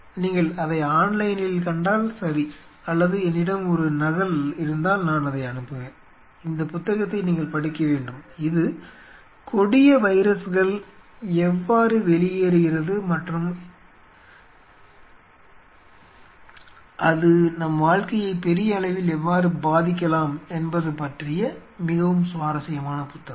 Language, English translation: Tamil, If you find it online or I will try to you know someone of if cant contact me if I, if I have a e copy I will forward this, you should read this book this is a very interesting book about virus deadly viruses escaping out and how that could influence our life big way ok